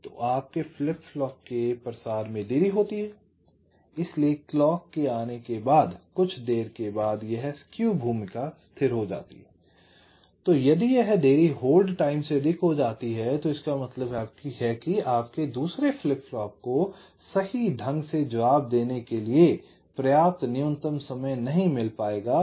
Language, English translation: Hindi, so after the clock comes, after some delay, this skews role become stable and if that delay exceeds the hold time, that means your second flip flop will be not be getting that minimum time for which it can respond correctly